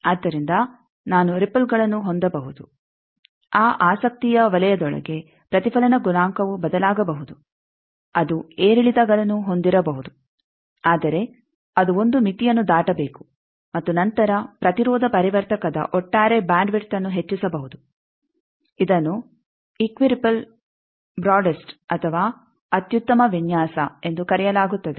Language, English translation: Kannada, So, I can have ripples that within that zone of interest the reflection coefficient may vary it can have ups and downs, but it should cross a limit and then the overall bandwidth of the impedance transformer can be increased that is called equiripple broadest or optimum design